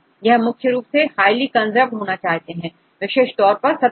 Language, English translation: Hindi, So, they prefer to be highly conserved right some cases mainly in the case of the surface